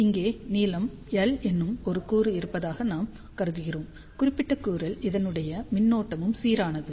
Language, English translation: Tamil, So, here we are assuming that there is a element of length L, current is uniform along this particular element